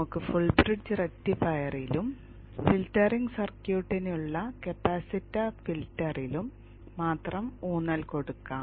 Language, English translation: Malayalam, We will be focusing on the full bridge rectifier and only the capacitor filter for the filtering circuit